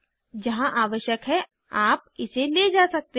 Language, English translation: Hindi, You can move it wherever required